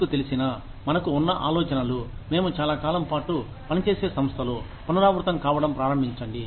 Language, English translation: Telugu, You know what, the ideas we have, in an organization that we serve, for a long time, start getting repeated